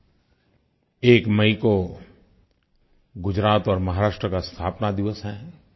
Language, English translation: Hindi, 1st May is the foundation day of the states of Gujarat and Maharashtra